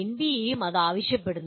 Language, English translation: Malayalam, This is also required as by the NBA